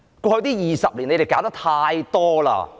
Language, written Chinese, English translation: Cantonese, 過去20年，他們搞得太多了。, They have done too much in the past 20 years